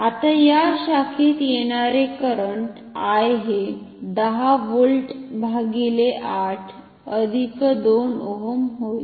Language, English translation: Marathi, This current I will be equal to 10 volt divided by 8 ohm, this will be 1